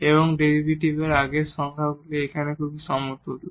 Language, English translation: Bengali, And, the earlier definition of the derivative they are actually equivalent